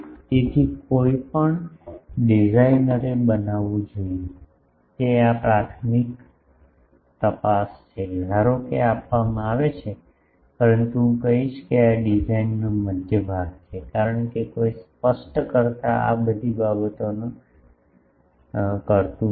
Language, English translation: Gujarati, So, this is the first check any designer should make, that suppose this is given these, but I will say that this is a middle part of the design, because no specifier does not all these things